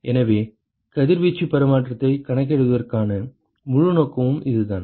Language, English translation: Tamil, So, that is the whole purpose of calculating the radiation exchange